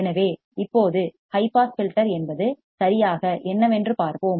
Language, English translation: Tamil, So, now, let us see what exactly a high pass filter is